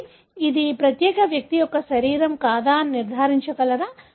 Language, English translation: Telugu, So, can that be, know, confirmed whether this is the body of this particular person